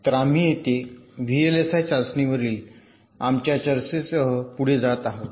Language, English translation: Marathi, so here we continue with our discussion on v l s i testing